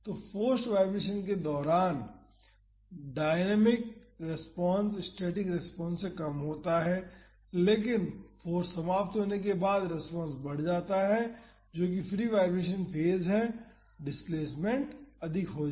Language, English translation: Hindi, So, during the forced vibration, the dynamic response is less than the static response, but the response increases after the force ends that is during the free vibration phase the displacement is high